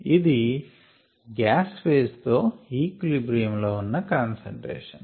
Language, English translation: Telugu, this is the concentration that is in equilibrium with the gas phase